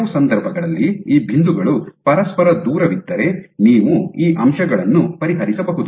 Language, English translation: Kannada, So, in some cases if these points are far from each other you can resolve these points